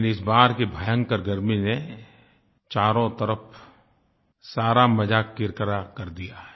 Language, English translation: Hindi, But this year the sweltering heat has spoilt the fun for everybody